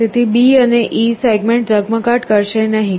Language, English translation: Gujarati, So, the segments B and E will not be glowing